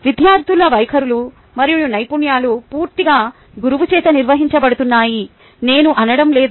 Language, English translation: Telugu, i am not saying that the attitudes and skills of students are entirely governed by the teacher